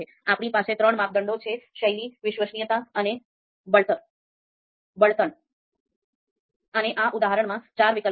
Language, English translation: Gujarati, I have three criteria that is the style, reliability and fuel and then four alternatives are there